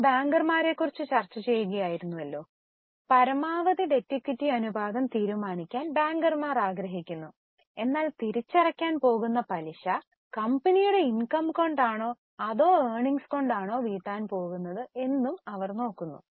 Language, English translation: Malayalam, So, bankers want to decide on maximum debt equity ratio, but they also look at whether the interest which is going to be repaid is covered by the income or earnings of the company